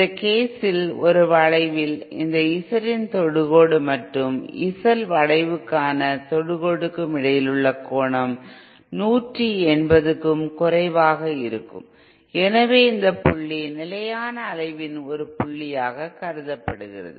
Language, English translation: Tamil, In this case also the point of oscillation at the point of oscillation angle between the tangent of this Z in A curve is and the tangent to the Z L curve is lesser than 180¡ therefore, this point also represents a point of stable oscillation